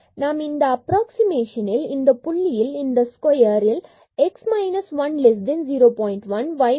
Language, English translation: Tamil, And now we want to find out the maximum error in this approximation at a point in this square here x minus 1 less than 0